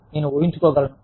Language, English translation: Telugu, I can imagine